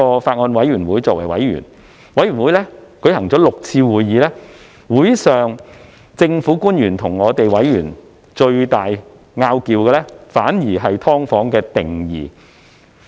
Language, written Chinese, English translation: Cantonese, 法案委員會曾舉行6次會議，會上與政府官員最大的爭議，反而是有關"劏房"的定義。, The Bills Committee has held six meetings at which the biggest controversy with government officials was about the definition of SDUs